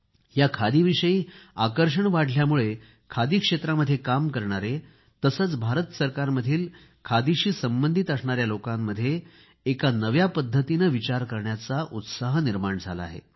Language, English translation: Marathi, The increasing interest in Khadi has infused a new thinking in those working in the Khadi sector as well as those connected, in any way, with Khadi